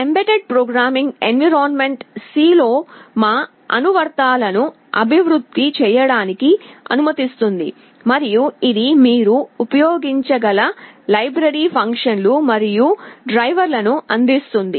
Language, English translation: Telugu, The mbed programming environment allows us to develop our applications in C, and it provides with a host of library functions and drivers, which you can use